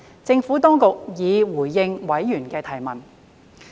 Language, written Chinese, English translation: Cantonese, 政府當局已回應委員的提問。, The Government had responded to members questions